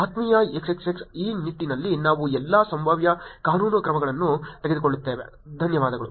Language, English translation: Kannada, Dear XXX, we will take all possible legal measures in this regard, thank you